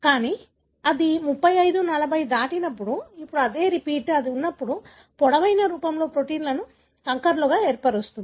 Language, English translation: Telugu, But, when it exceeds 35, 40, now the same repeat, when it is in, in longer form can form the protein to aggregates